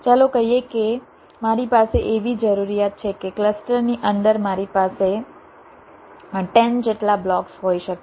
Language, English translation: Gujarati, lets say, suppose i have a requirement that inside a cluster i can have upto ten blocks, and suppose i have a set of blocks to place